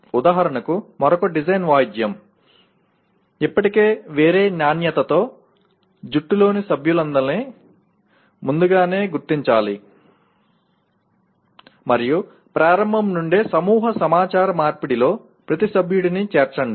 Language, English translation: Telugu, For example another design instrumentality, still of a different quality, identify all members of the team early on and include every member in the group communications from the outset